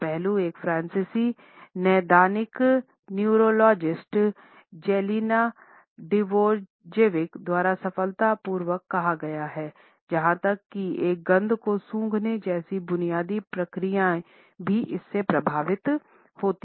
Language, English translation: Hindi, This aspect has been very succinctly put by Jelena Djordjevic, a French clinical neuropsychologist, who has said that even basic processes such as smelling a scent are influenced by where we come from and what we know